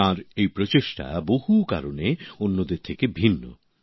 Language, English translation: Bengali, This effort of his is different for many reasons